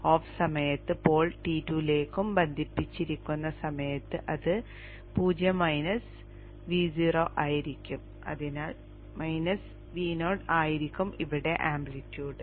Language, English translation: Malayalam, During the time when the pole is connected to T2 it will be 0 minus V 0 so it will be minus V 0 here